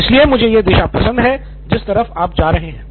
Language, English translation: Hindi, So I like the direction in which you are going